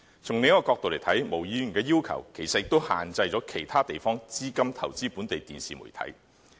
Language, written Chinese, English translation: Cantonese, 從另一個角度來看，毛議員的要求其實也限制了其他地方的資金投資本地電視媒體。, From another perspective Ms MOs proposal also restricts capital from other places from investing in local television media